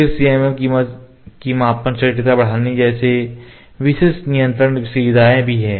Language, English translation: Hindi, Then specialized control features also there like CMM measuring accuracy enhancement